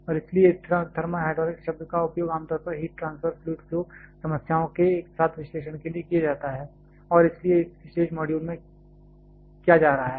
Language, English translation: Hindi, And therefore, the term thermal hydraulics is a generally used for simultaneous analysis of heat transfer fluid flow problems and hence in this particular module